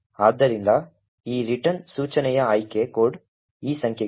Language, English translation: Kannada, So, the opt code for this return instruction is these numbers 0xc3